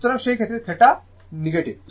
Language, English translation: Bengali, So, in that case theta is negative right